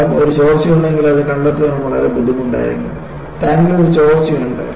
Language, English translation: Malayalam, The result is, even if there is a leak, it will be very difficult to spot, if there is a leak in the tank